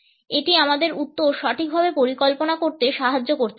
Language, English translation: Bengali, It can help us in planning our answer properly